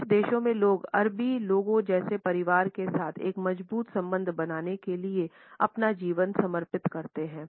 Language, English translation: Hindi, In some countries people dedicate their lives to build a strong relationship with their families like the Arabic people